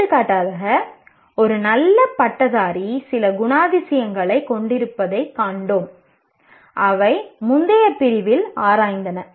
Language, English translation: Tamil, For example, we have seen a good graduate has certain characteristics which we kind of explored in the previous unit